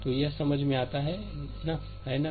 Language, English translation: Hindi, So, it is understandable to, right